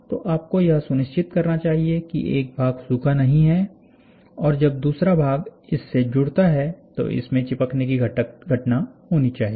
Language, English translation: Hindi, So, you should make sure that this fellow does not dry and this fellow, when it joints it, should have a phenomena of sticking